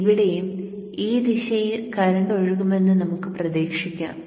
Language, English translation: Malayalam, So here we are expecting the current to flow in this fashion